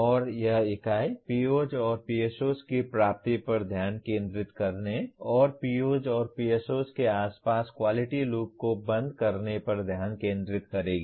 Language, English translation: Hindi, And this unit will focus on computing the attainment of POs and PSOs and close the quality loop around POs and PSOs